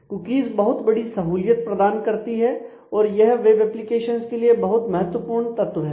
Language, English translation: Hindi, So, cookies are a big convenience and they are very important factor of the web applications